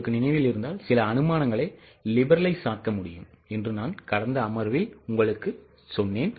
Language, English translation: Tamil, If you remember in my earlier session, I had told you that some of the assumptions can be liberalized